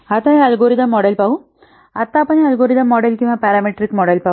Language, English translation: Marathi, Now this let's see the algorithm models or now let us see this this algorithm models or parameter models